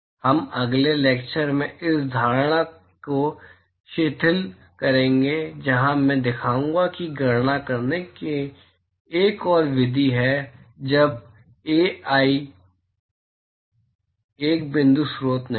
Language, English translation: Hindi, We will relax this assumption in the next lecture where I will show that there is another method to calculate when Ai is not a point source